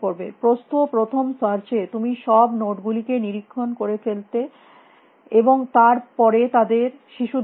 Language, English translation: Bengali, In breadth first search you would have inspect you would inspected all these nodes, and then you would have inspected their children